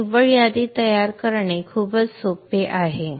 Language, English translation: Marathi, So generating the net list is pretty simple